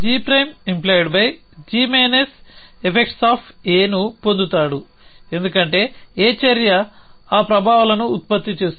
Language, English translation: Telugu, So he get g plain h g minus effects of A, because action A is producing those effects